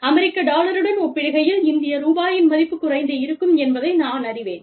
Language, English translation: Tamil, Now, the rate of the dollar has been, you know, the value of the Indian rupee, has been going down, in comparison with the US dollar